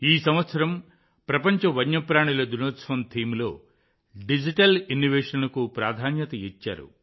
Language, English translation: Telugu, This year, Digital Innovation has been kept paramount in the theme of the World Wild Life Day